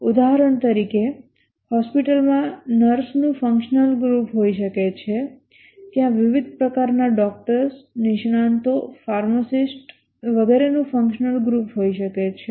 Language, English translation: Gujarati, For example, in a hospital there may be a functional group of nurses, there may be a functional group of nurses, there may be functional group of various types of doctors, specialists, pharmacists and so on